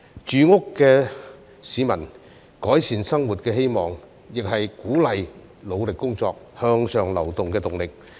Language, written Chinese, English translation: Cantonese, 住屋是市民改善生活的希望，亦是鼓勵努力工作、向上流動的動力。, People pin their hopes for improvement of their lives on housing which is also an incentive for people to work hard and seek upward mobility